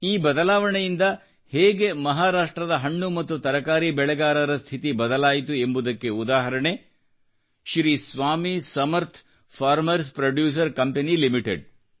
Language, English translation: Kannada, An example of how this reform changed the state of farmers growing fruits and vegetables in Maharashtra is provided by Sri Swami Samarth Farm Producer Company limited a Farmer Producer's Organization